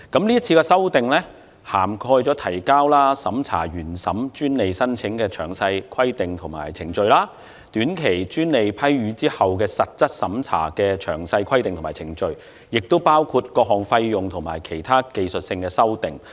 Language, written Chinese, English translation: Cantonese, 這次修訂涵蓋提交和審查原授專利申請的詳細規定及程序；短期專利批予後的實質審查的詳細規定及程序，亦包括各項費用和其他技術性修訂。, The amendments cover detailed requirements and procedures relating to the filing and the examination of original grant patent applications and for post - grant substantive examination of short - term patents as well as fees chargeable and other technical amendments